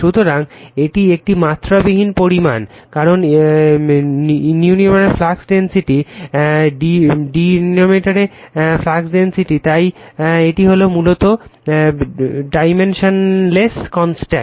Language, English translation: Bengali, So, it is a dimensionless quantity, because numerator also flux density, denominator also flux density, so it is basically dimensionless constant